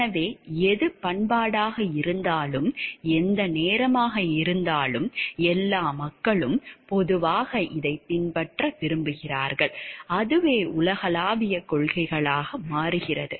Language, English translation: Tamil, So, whichever be the culture and how whichever be the time and all people generally like follow this and that is how this has become universal principles